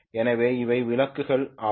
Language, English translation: Tamil, So these are the lamps okay